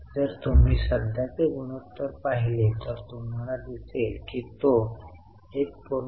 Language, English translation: Marathi, If you look at current ratio, you will see it was from 1